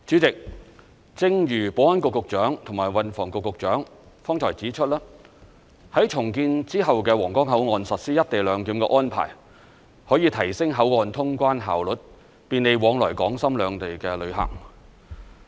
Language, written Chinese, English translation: Cantonese, 代理主席，正如保安局局長和運輸及房屋局局長剛才指出，在重建之後的皇崗口岸實施"一地兩檢"的安排，可以提升口岸通關效率，便利往來港深兩地的旅客。, Deputy President as the Secretary for Security and Secretary for Transport and Housing have pointed out just now the co - location arrangement at the redeveloped Huanggang Port can improve the clearance efficiency of the control point and provide convenience for visitors travelling between Hong Kong and Shenzhen